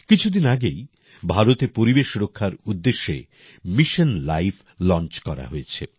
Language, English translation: Bengali, A few days ago, in India, Mission Life dedicated to protect the environment has also been launched